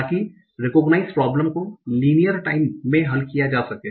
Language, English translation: Hindi, So that is recognition problem can be solved in linear time